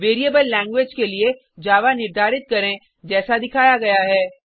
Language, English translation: Hindi, Assign Java to variable language as shown